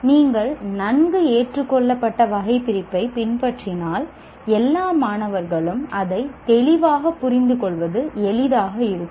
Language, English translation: Tamil, If you follow a well accepted taxonomy, then it will be easy for all the stakeholders to understand it clearly